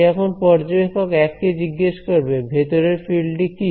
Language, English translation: Bengali, Now, he is asking the observer 1 hey what is the field inside ok